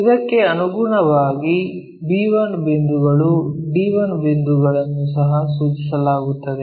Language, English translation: Kannada, Correspondingly, the b 1 points, d 1 points are also mapped